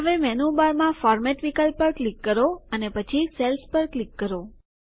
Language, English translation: Gujarati, Now click on the Format option in the menu bar and then click on Cells